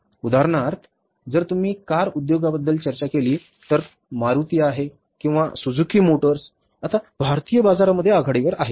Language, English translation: Marathi, Now, for example, if you talk about the car industry, Maruti is the or the Suzuki Motors is the leader now in the Indian market